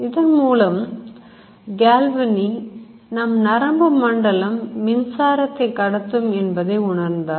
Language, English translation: Tamil, So Galvani thought that and he thought it correctly that the nervous system has electricity